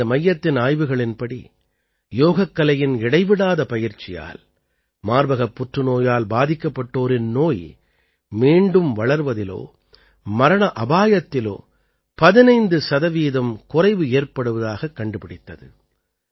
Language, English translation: Tamil, According to the research of this center, regular practice of yoga has reduced the risk of recurrence and death of breast cancer patients by 15 percent